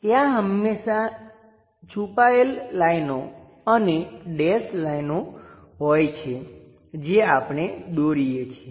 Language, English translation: Gujarati, There always be hidden lines and dash lines that we are going to draw it